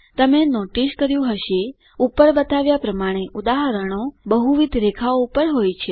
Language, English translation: Gujarati, If you notice, the examples shown above are on multiple lines